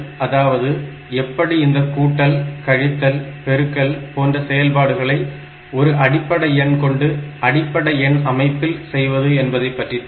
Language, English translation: Tamil, So, the next important thing that we will look into is how to do this operation, like how to do this addition, subtraction, multiplication type of operation in basic number in basic number systems